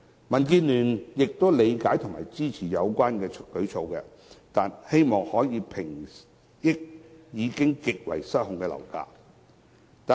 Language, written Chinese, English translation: Cantonese, 民建聯理解及支持有關舉措，希望可以平抑已經失控的樓價。, DAB understands and supports the measure and hopes that that it can stabilize the uncontrollable property prices